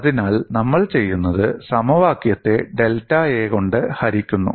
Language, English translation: Malayalam, So, what we do is, we divide the equation by delta A